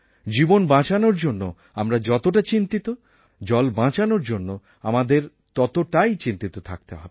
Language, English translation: Bengali, We are so concerned about saving lives; we should be equally concerned about saving water